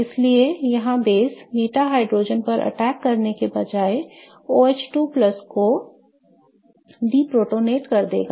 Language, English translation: Hindi, So, in this case the base instead of attacking the beta hydrogen again would just deprotonate that OH2 plus